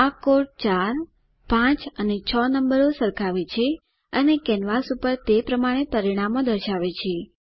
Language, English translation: Gujarati, This code compares numbers 4 , 5 and 6 and displays the results accordingly on the canvas